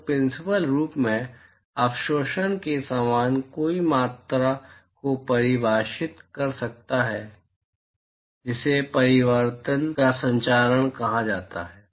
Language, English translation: Hindi, So, one could in principle, similar to absorptivity, one could define quantities called reflectivity and transmitivity